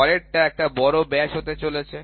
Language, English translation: Bengali, Next one is going to be major diameter